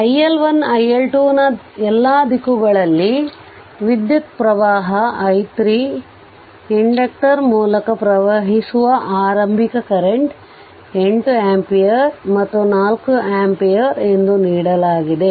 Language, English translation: Kannada, All the direction of the current iL1 iL2 and this is another i3 is given right and your initial current through the inductor, it is given 8 ampere and 4 ampere